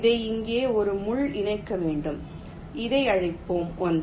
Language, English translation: Tamil, this has to be connected to a pin here, lets call it one